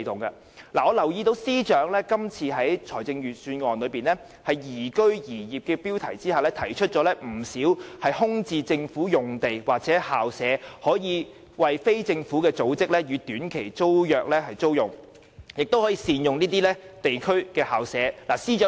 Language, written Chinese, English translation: Cantonese, 我留意到司長今次在預算案中"宜居宜業"的標題下，提出不少空置政府用地或校舍供非政府組織以短期租約形式租用，亦建議善用地區校舍。, I notice that under the heading of Enhancing Liveability of this Budget the Financial Secretary points out that plenty of vacant government sites or school premises are available for use by non - governmental organizations through short - term tenancies and local school premises should be better utilized